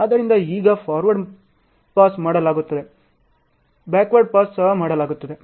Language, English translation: Kannada, So now, forward pass is done, backward pass is also done